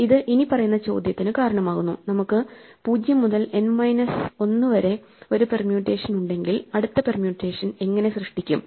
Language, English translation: Malayalam, This give rise to the following question; if we have a permutation of 0 to N minus 1 how do we generate the next permutation